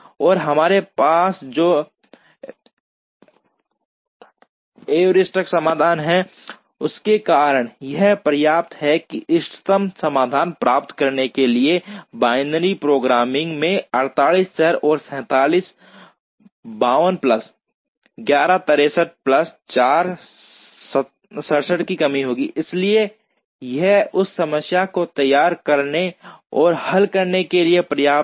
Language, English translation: Hindi, And because of the heuristic solution that we have, it is enough now that the binary programming to get the optimum solution will have 48 variables and 67, 52 plus 11 63 plus 4, 67 constraints, so it is enough to formulate and solve that problem